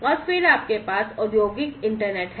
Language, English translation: Hindi, And then you have the industrial internet